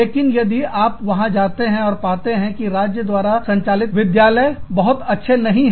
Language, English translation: Hindi, But, if you go there, state run school are not very good